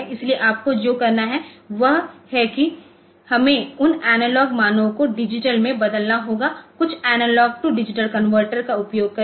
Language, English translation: Hindi, So, what you have to do is we have to take those we have to convert those analog values into digital and by means of some analog to digital converter and then using that converter we have to use the we have to run the program